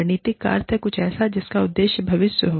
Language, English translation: Hindi, Strategic means, something that is aimed at, the future